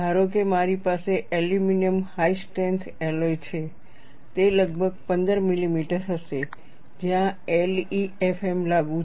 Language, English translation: Gujarati, Suppose, I have an aluminium high strength alloy, it would be around 15 millimeter, where LEFM is applicable